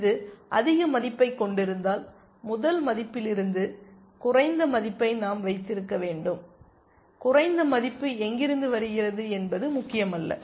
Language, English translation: Tamil, If it has a higher value, we must keep the lower value from the first one, it does not matter where the lower value comes from